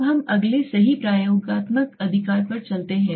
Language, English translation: Hindi, Now let us go to the next the true experimental right